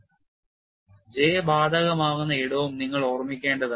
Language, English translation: Malayalam, And you also keep in mind where J is applicable